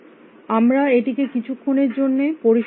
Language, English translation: Bengali, We will refine that in the moment